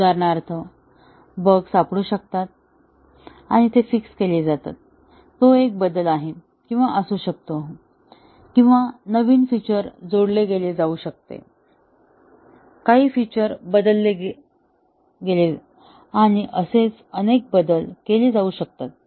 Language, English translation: Marathi, For example, bugs may get detected and these are fixed; that is a change; or may be, some new feature was added or may be, some feature was modified and so on